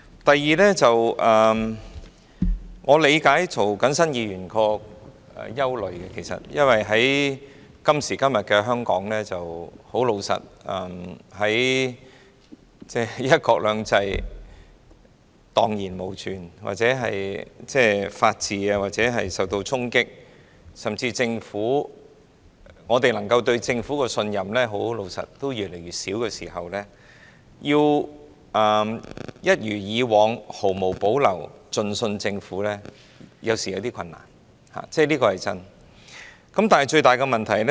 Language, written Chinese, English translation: Cantonese, 第二，我理解涂謹申議員的憂慮，因為今時今日，老實說，"一國兩制"已蕩然無存，法治也受到衝擊，我們對政府的信任水平也越來越低，要像以往一樣毫無保留地信任政府，實在頗為困難，這是事實。, The second point is that I understand Mr James TOs worries . Honestly one country two systems has gone today the rule of the law has been undermined and the level of our trust in the Government has become lower and lower . It is really difficult for us to unreservedly trust the Government as we did in the past